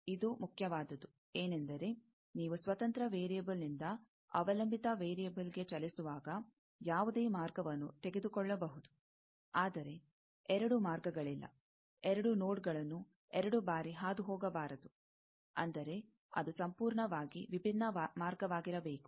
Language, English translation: Kannada, This is important that, you can take any path from going to the independent variable to dependent variable, but no two paths, no two nodes should be traversed twice; that means, it should be completely a different path